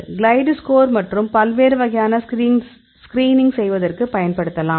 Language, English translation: Tamil, So, we can use the glide score and we use with different types of screening